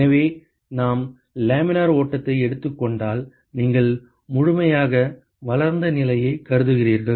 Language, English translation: Tamil, So, so that if we assume laminar flow and you assume fully developed condition